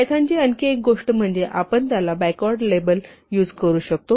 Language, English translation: Marathi, And another convenience in python is that we can actually label it backwards